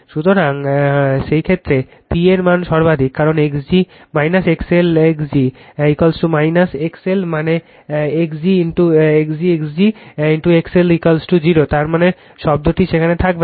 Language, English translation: Bengali, So, in that case the value of the P is maximum, because x g minus X L x g is equal to minus X L means x g plus x g plus X L is equal to 0 I mean this term will not be there